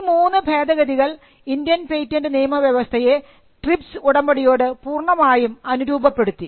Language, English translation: Malayalam, These three sets of amendment brought the Indian law in complete compliance with the TRIPS obligations